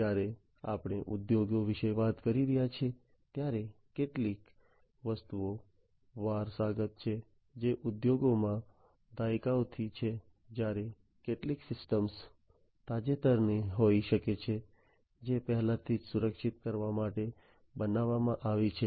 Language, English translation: Gujarati, So, when we are talking about industries certain things are legacy, some systems are legacy systems, which have been there for decades in the industry whereas, certain systems might be the recent ones, which are already you know, which have already been built to be secured